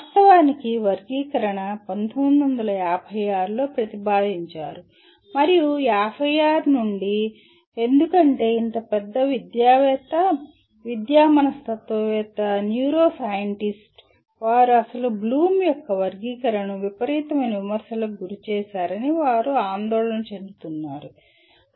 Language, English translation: Telugu, And actually the taxonomy was proposed in 1956 and since ‘56 because this such a large group of educationist, educational psychologist, neuroscientist they are all concerned with that the original Bloom’s taxonomy was subjected to tremendous amount of critic